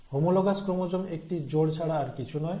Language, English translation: Bengali, Now homologous chromosome is nothing but the pair